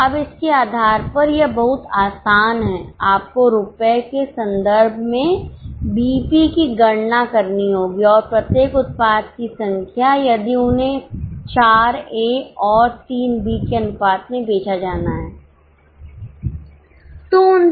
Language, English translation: Hindi, Now based on this it is very simple you have to calculate the BP in terms of rupees and the number of each product if they are to be sold in the ratio of 4A is to 3B